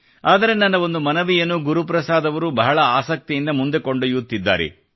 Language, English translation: Kannada, But I felt nice that Guru Prasad ji carried forward one of my requests with interest